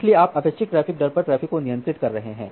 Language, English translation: Hindi, So, you are regulating the traffic at the expected traffic rate